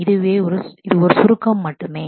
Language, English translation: Tamil, So, this is just a summary of that